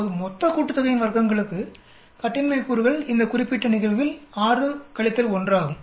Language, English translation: Tamil, Now for total sum of squares the degrees of freedom is, in this particular case 6 minus 1